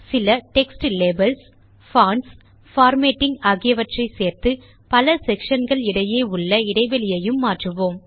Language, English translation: Tamil, We will add some text labels, fonts, formatting and adjust the spacing among the various sections